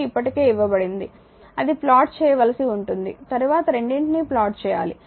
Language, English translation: Telugu, Qt is already given only it you have to plot it you have to find out then plot both right